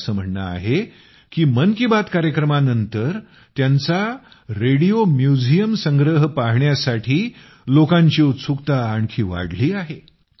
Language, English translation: Marathi, He says that after 'Mann Ki Baat', people's curiosity about his Radio Museum has increased further